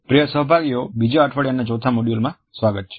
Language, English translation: Gujarati, Welcome dear participants to the fourth module of the second week